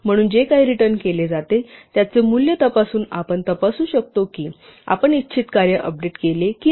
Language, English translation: Marathi, So, by examining the value of whatever is returned we can check whether the update we intended worked or not